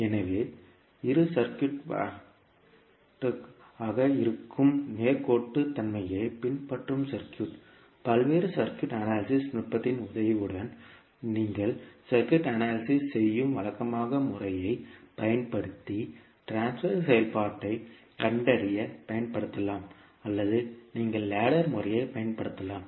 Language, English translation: Tamil, So, the circuit which follows the linearity property that is a circuit can be used to find out the transfer function using a either the conventional method where you analyze the circuit with the help of various circuit analysis technique or you can use the ladder method